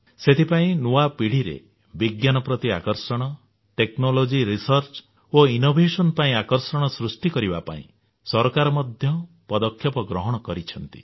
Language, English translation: Odia, And that is why the government too has taken steps to attract the new generation toward science and research & innovation in the field of technology